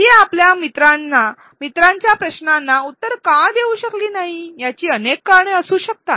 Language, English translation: Marathi, There could be multiple and varied reasons for why she was unable to answer her friends questions